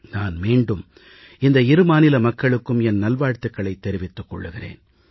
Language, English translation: Tamil, On this occasion, many felicitations to the citizens of these two states on my behalf